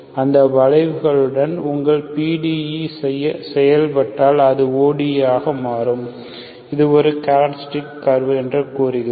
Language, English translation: Tamil, So along the curves, along those curves, if your PDE acts as, it becomes ODE, then we say it is a characteristic curve Those curves are nothing but, what you get is this